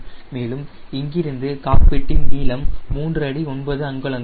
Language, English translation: Tamil, and from here to the cockpit it is around three feet nine inches